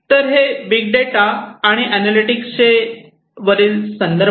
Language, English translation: Marathi, So, these are some of the references on big data and analytics